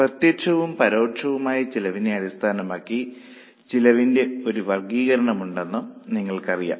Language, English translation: Malayalam, Then you also know there is a classification of cost based on direct versus indirect costs